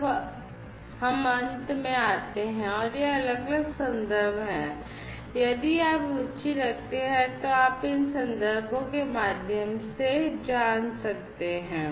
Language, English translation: Hindi, And finally, we come to an end and these are the different references; you know if you are interested you could go through these references